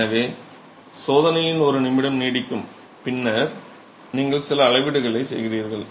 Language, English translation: Tamil, So the test lasts for a minute and then you make some measurements